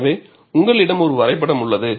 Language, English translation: Tamil, So, I have taken one diagram